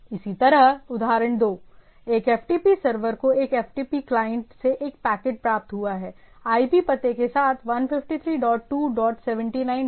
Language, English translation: Hindi, Similarly, example two, an ftp server has received a packet from a ftp client, with IP address 153 dot 2 dot seventy nine dot nine 9